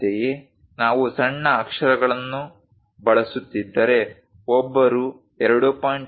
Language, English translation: Kannada, Similarly, if we are using lowercase letters, then one has to use 2